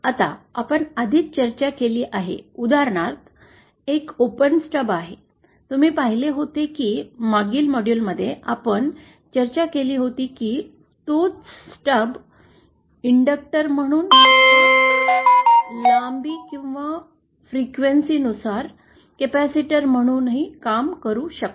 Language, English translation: Marathi, Now, this we have already discussed, for example, here is a open Stub, you saw that in the previous module we had discussed that the same stub can act as as a inductor or as a capacitor depending on the length or the frequency